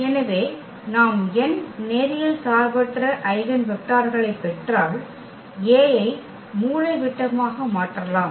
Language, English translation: Tamil, So, if we get n linearly independent eigenvectors then A can be diagonalized